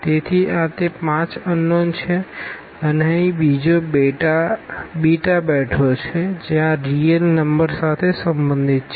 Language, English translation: Gujarati, So, these are their 5 unknowns and there is another beta here is sitting which belongs to this real number